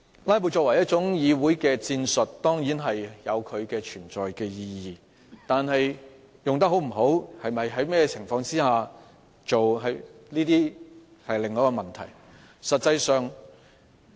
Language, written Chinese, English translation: Cantonese, "拉布"在議會內作為一種戰術，當然有其存在的意義，但使用是否得宜，或在甚麼情況下使用，則是另一個問題。, Filibusters certainly have a purpose to serve as a tactic in the Council . But whether they are used properly or under what circumstances they are used is another issue